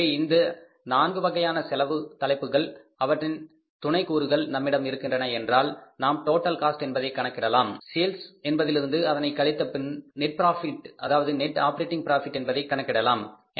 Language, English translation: Tamil, So, once all these four heads of the cost, sub components of the costs are ready with us, we subtract, we calculate the total cost, subtract from the sales and calculate the net operating profit